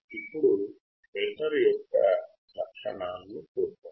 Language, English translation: Telugu, What is the role of this filter